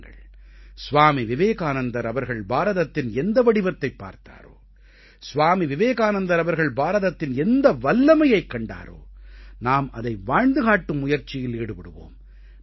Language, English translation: Tamil, Come, let us look anew at India which Swami Vivekananda had seen and let us put in practice the inherent strength of India realized by Swami Vivekananda